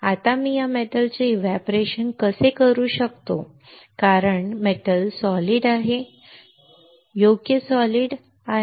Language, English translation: Marathi, Now how I can evaporate this metal because metal is solid right metal is solid